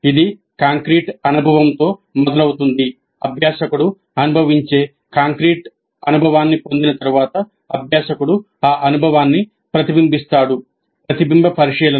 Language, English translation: Telugu, Having undergone the concrete experience, the learner reflects on that experience, reflective observation